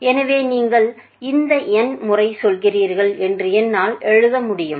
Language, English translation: Tamil, So, I can just simply write that you merely repeating this n times right